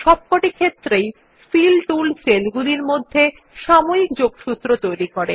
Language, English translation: Bengali, In all these cases, the Fill tool creates only a momentary connection between the cells